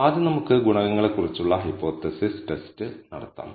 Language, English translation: Malayalam, So, first let us do the hypothesis test on coefficients